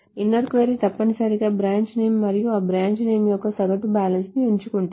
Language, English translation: Telugu, The inert query essentially just selects the branch name and the average balance of that branch name